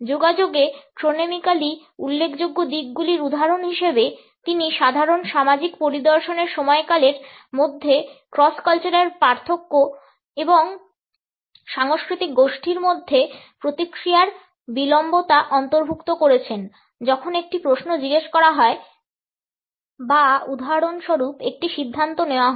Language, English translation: Bengali, As examples for chronemically significant aspects in communication, he included the cross cultural differences in the duration of ordinary social visits, response latency among different cultural groups when a question is asked or for example, a decision is to be made